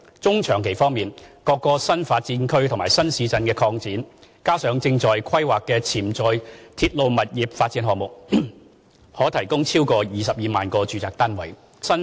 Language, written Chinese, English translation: Cantonese, 中長期方面，各個新發展區和新市鎮擴展，加上正在規劃的潛在鐵路物業發展項目，可提供超過22萬個住宅單位。, For the medium to long term new development areas NDAs extended new towns and potential railway property development projects now under planning can provide more than 220 000 residential units